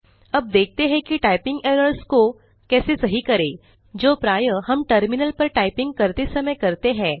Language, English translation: Hindi, Lets now see how to correct typing errors, which we often make while typing at the terminal